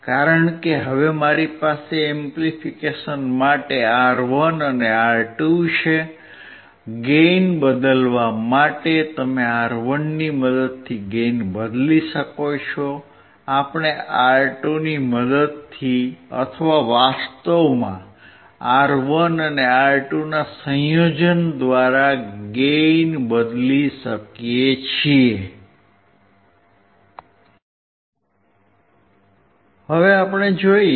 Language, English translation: Gujarati, Because now I have R1 and R2 in the for the amplification, for the changing of the gain, you can change the gain with the help of R1, we can change the gain with the help of R2 or actually in combination of R1 and R2